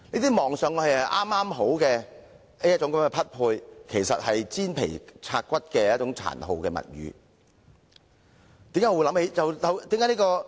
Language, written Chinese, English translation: Cantonese, 這些看起來是"剛好"的匹配，其實是"煎皮拆骨"的一種殘酷物語。, Things that appear to be just fit have actually gone through a cruel process of mutilation